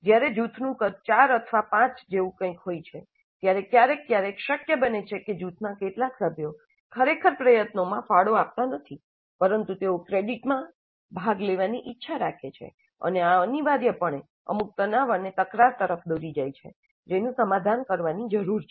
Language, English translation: Gujarati, When a group size is something like four or five, occasionally it is possible that some of the group members really do not contribute to the effort but they want a share in the credit and this essentially leads to certain tensions and conflicts which need to be resolved